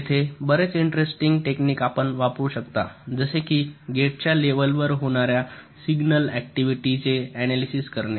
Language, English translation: Marathi, ok, there are many interesting techniques which you can use by analyzing the signal activities that take place at the level of gates